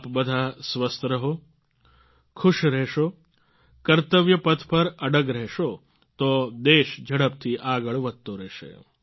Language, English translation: Gujarati, May all of you be healthy, be happy, stay steadfast on the path of duty and service and the country will continue to move ahead fast